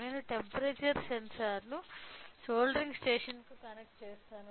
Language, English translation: Telugu, So, I will connect the temperature sensor to the soldering station